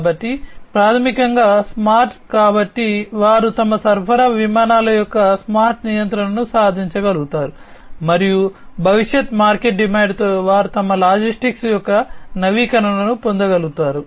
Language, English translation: Telugu, So, basically smart so they are able to achieve smart control of their supply fleet, and also they are able to get the status update of their logistics with future market demand